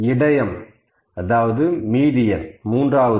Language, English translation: Tamil, How to find the median